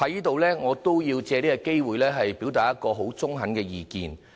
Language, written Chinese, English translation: Cantonese, 主席，我也要藉此機會表達一個十分中肯的意見。, President I would like to take this opportunity to state an objective opinion